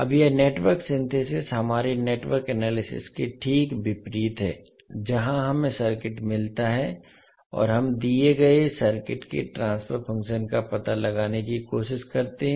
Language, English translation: Hindi, Now this Network Synthesis is just opposite to our Network Analysis, where we get the circuit and we try to find out the transfer function of the given circuit